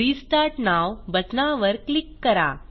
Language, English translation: Marathi, Click on Restart now button